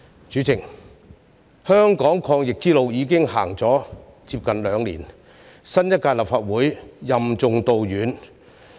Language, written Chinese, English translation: Cantonese, 主席，香港抗疫之路已經走了接近兩年，新一屆立法會任重道遠。, President Hong Kong has been fighting the pandemic for almost two years and the new Legislative Council has to shoulder heavy responsibilities on its long journey